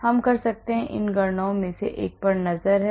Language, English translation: Hindi, So, we can do a lot of these calculations have a look at it